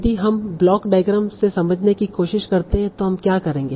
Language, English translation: Hindi, So if we try to understand that from a block diagram, what we will do